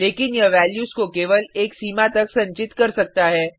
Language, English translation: Hindi, But it can only store values up to a limit